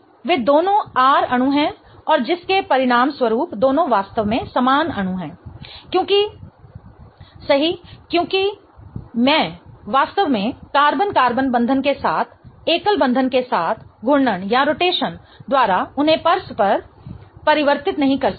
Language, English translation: Hindi, So, that is both of them are R molecules and as a result of which both of them are in fact identical molecules because the right because I really cannot interconvert them by rotation along carbon carbon bond along a single bond